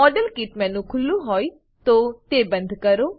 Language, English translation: Gujarati, Exit the model kit menu, if it is open